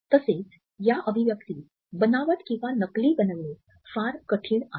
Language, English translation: Marathi, Again, it is very difficult to fake this expression